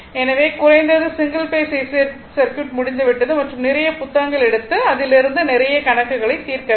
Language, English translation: Tamil, So, at least single phase ac circuit is over and you will solve many problems take any book and you please do it